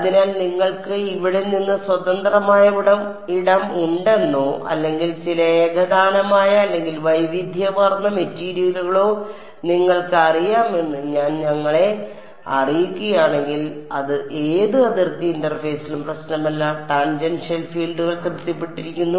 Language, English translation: Malayalam, So, if I have let us say you know free space from here or some homogenous or even heterogeneous material it does not matter at any boundary interface tangential fields are satisfied